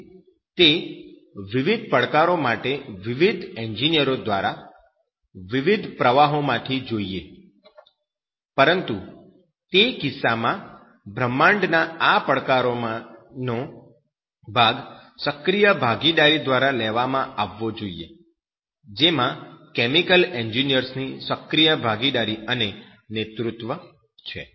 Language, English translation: Gujarati, So for those challenges from different engineers, from different streams, but in that case, this part of this universe challenges are you know taken by active participation that is active participation and leadership of chemical engineers